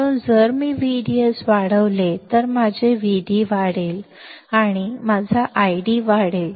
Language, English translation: Marathi, So, if I increase V D S, my V D will increase and correspondingly my I D will increase